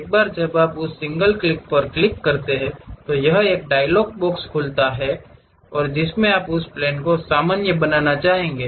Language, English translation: Hindi, Once you click that a single click, it opens a dialog box showing something would you like to draw normal to that plane